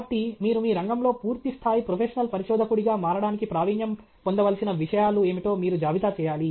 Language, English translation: Telugu, So, you have to list out what are the things which are to be mastered, so that you can become a fully professional researcher in your field